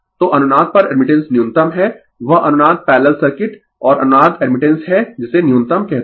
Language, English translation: Hindi, So, at resonance, admittance is minimum right that resonance parallel circuit and resonance admittance is your what you call minimum